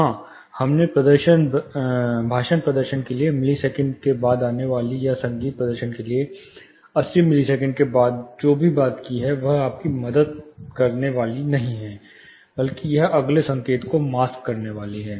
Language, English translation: Hindi, Yes, we talked about you know whatever coming after milliseconds for speech performance, or after 80 milliseconds for music performance is not going to help you, rather it is going to mask the next signal